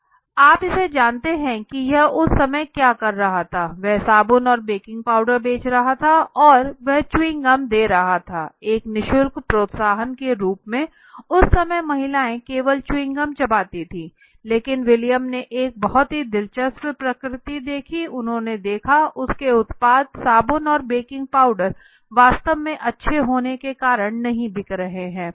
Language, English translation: Hindi, Wrigley’s chewing gum it was in 1891 that William Wrigley started this you know what was it doing that time he was selling soaps and baking powder, and he was giving gum sticks of gums you know chewing gums like as a free incentives at that time the stereo type was that women would only use chewing gum right, but Wrigley William Wrigley observed a very interesting trend he saw that his products that is soaps and baking powder where actually getting sold not because they were good